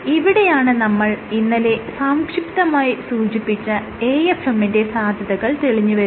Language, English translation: Malayalam, And this is where the method of AFM which I briefly touched upon yesterday would come in